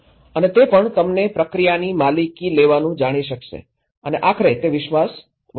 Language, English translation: Gujarati, And also it can enable you to know take the ownership of the process and that eventually, it will build the trust